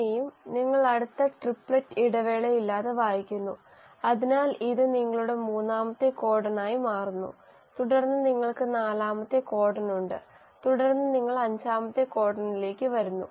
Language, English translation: Malayalam, Then again you read the next triplet without the break, so this becomes your third codon and then you have the fourth codon and then you come to the fifth codon